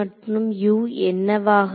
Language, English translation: Tamil, So, what is this going to be